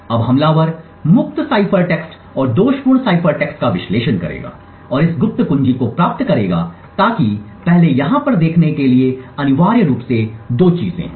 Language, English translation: Hindi, Now the attacker would analyze the fault free cipher text and the faulty cipher text and from this derive the secret key so there are essentially two things to look over here first is how would the attacker induce the fault during an encryption